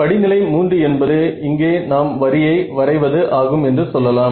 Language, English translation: Tamil, So, in other words this step 3 is where we draw the line here is where we draw the line